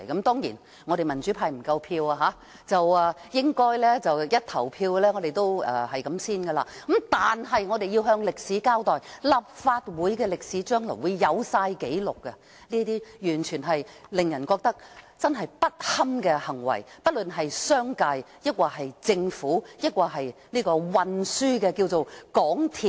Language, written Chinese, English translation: Cantonese, 當然，民主派不夠票，議案付諸表決時應該也無法通過，但是我們要向歷史交代，立法會將來會備齊所有紀錄，記錄不論是商界或政府，或運輸界的港鐵公司的這些行為，完全令人覺得不堪。, As the democrats do not have enough votes the motion will not be passed when it is put to vote . Nonetheless we have to set the record straight in history . The Legislative Council will keep records of the acts of the business community the Government or MTRCL in the transport sector